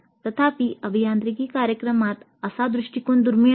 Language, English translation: Marathi, However such an approach is quite rare in engineering programs